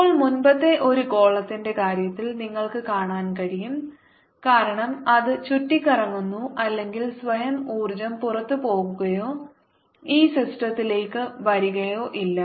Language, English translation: Malayalam, now, in the previous case, in the case of a sphere, you can see, since its winding around or itself, there is no energy going out or coming into this system